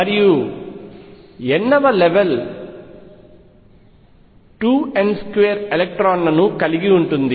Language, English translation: Telugu, And n th level can accommodate 2 n square electrons